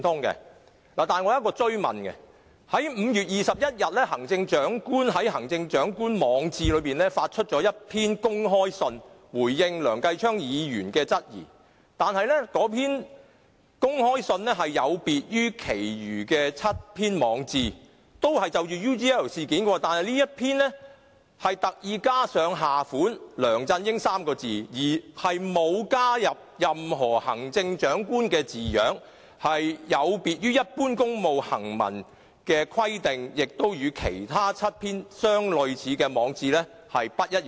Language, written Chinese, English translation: Cantonese, 但是，我想追問，在5月21日，行政長官於他的網誌上發出公開信，以回應梁繼昌議員的質疑，但那封公開信有別於其他7篇就 UGL 事件而發出的網誌，那封公開信特意加上下款"梁振英 "3 個字，並沒有加入任何行政長官的字樣，有別於一般公務行文的規定，亦與其他7篇類似的網誌不一樣。, But I want to ask a further question on the open letter which the Chief Executive posted on his blog on 21 May in response to the queries raised by Mr Kenneth LEUNG . Unlike the other seven posts concerning UGL on his blog this open letter carries the name of LEUNG Chun - ying as the writers identification without adding the title of Chief Executive . This open letter does not follow the format of official correspondence and is different from the other seven similar posts on his blog